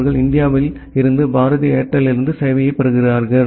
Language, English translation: Tamil, And they get the service from in India from Bharti Airtel